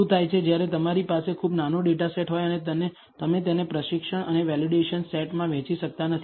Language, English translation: Gujarati, What happens when you have extremely small data set and you cannot divide it into training and validation set